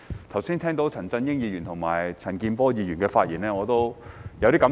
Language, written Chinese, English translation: Cantonese, 剛才聽到陳振英議員和陳健波議員的發言，我有些感受。, Mr CHAN Chun - yings and Mr CHAN Kin - pors speeches just now have provoked some thoughts in my mind